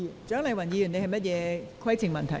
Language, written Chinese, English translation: Cantonese, 蔣麗芸議員，你有甚麼規程問題？, Dr CHIANG Lai - wan what is your point of order?